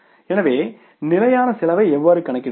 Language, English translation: Tamil, So, what is the standard cost